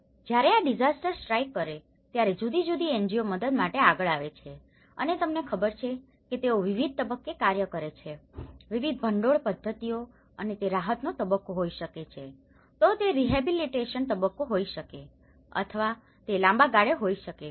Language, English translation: Gujarati, When the disaster strikes different NGOs comes forward for a helping hand and they work on you know, different funding mechanisms and it could be a relief stage, it could be a rehabilitation stage or it could be in a long run it will take up to the recovery and reconstruction stages